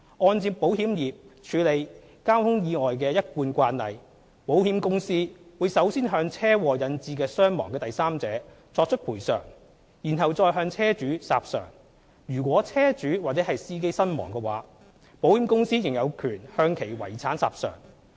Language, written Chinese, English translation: Cantonese, 按照保險業界處理交通意外的一貫慣例，保險公司會首先向車禍引致傷亡的第三者作出賠償，然後再向車主索償；如果車主或司機身亡，保險公司仍有權向其遺產索償。, Based on the established practice of the insurance industry in handling traffic accident cases the insurance company will first compensate the third party whose injury or death has been caused by the traffic accident and then recover the loss from the vehicle owner . If the vehicle owner or driver has died in the accident the insurance company is still entitled to recover the loss from the estate of the deceased